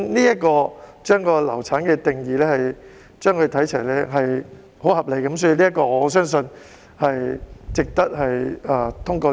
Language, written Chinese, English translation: Cantonese, 因此，把"流產"定義與它看齊是相當合理的，我相信這項修訂也是值得通過的。, For that reason using such a period for the definition of miscarriage is reasonable and I believe the amendment is worthy of passage